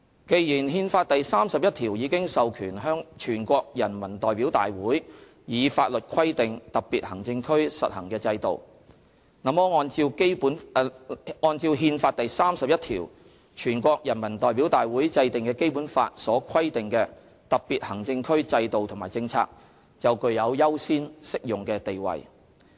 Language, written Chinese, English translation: Cantonese, 既然《憲法》第三十一條已經授權全國人民代表大會以法律規定特別行政區實行的制度，那麼按照《憲法》第三十一條，全國人民代表大會制定的《基本法》所規定的特別行政區制度和政策，就具有優先適用的地位。, As Article 31 of the Constitution already authorizes NPC to prescribe the systems to be instituted in special administrative regions by law in accordance with Article 31 of the Constitution the systems and policies of HKSAR that were prescribed in the Basic Law and enacted by NPC shall have an overriding status